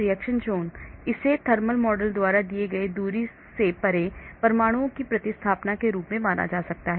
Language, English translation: Hindi, Reaction zone, this can be considered as a replacement of atoms beyond a given distance by a thermal bath model